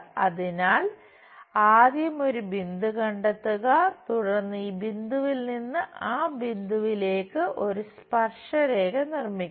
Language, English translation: Malayalam, So, first locate a point then we have to construct a tangent from this point to that point